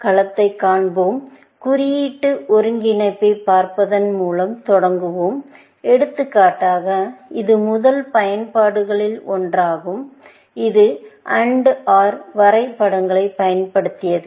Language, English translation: Tamil, Depending on the domain, we will see a domain; we will start with looking at symbolic integration, for example, which was one of the first applications, which used AND OR graphs